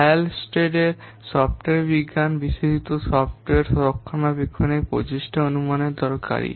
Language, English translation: Bengali, Hullstead software science is especially useful for estimating software maintenance effort